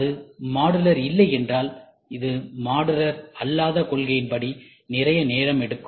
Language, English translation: Tamil, If it is not modular, it takes lot of time non modular concept